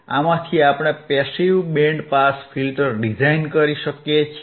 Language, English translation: Gujarati, We can design a passive band pass filter